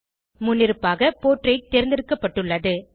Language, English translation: Tamil, By default Portrait is selected